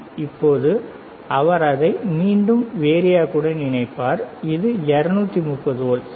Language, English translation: Tamil, Now he will again connect it to the same one, this is 230 volts, all right